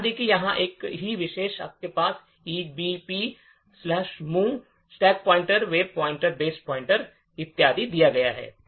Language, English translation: Hindi, Note, the same instructions over here you have push EBP, mov stack pointer base pointer and so on